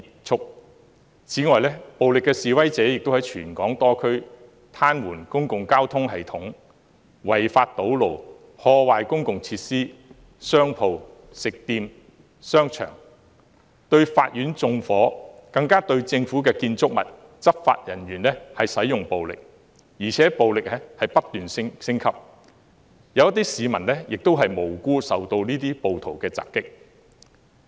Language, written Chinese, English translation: Cantonese, 此外，暴力示威者亦在全港多區癱瘓公共交通系統、違法堵路，破壞公共設施、商鋪、食店和商場、對法院縱火，更對政府建築物和執法人員使用暴力，而且暴力程度不斷升級，有些市民亦無辜受到暴徒襲擊。, Moreover violent protesters paralysed public transport systems illegally blocked roads vandalized public facilities shops restaurants and shopping malls set fire to the Court and used violence on government buildings and law enforcement officers . The level of violence kept escalating and some innocent citizens were also attacked by the rioters